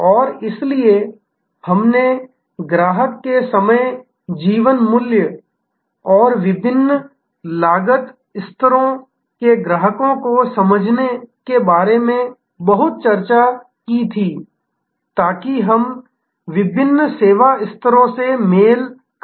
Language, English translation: Hindi, And therefore, we had discussed a lot about customer’s life time value and understanding customers of different cost levels, so that we can match different service levels